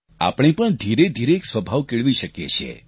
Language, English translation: Gujarati, Here too we can gradually nurture this habit